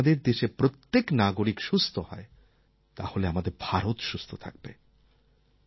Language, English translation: Bengali, If every citizen of my country is healthy, then my country will be healthy